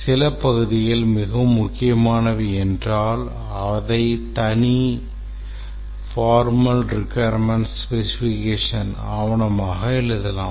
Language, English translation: Tamil, But then if some parts are very critical, separate formal requirement specification document can be written for that